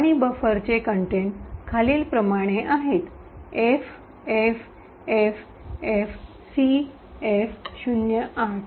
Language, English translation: Marathi, And, the contents of buffer is as follows, FFFFCF08